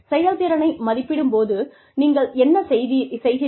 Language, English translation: Tamil, What do you do, when appraising performance